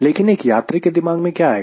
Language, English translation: Hindi, but for a passenger, what comes to his mind the moment